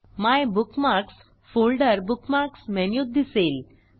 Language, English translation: Marathi, The MyBookMarks folder is displayed in the Bookmarks menu